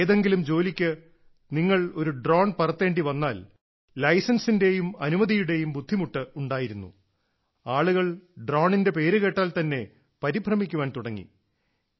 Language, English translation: Malayalam, If you have to fly a drone for any work, then there was such a hassle of license and permission that people would give up on the mere mention of the name of drone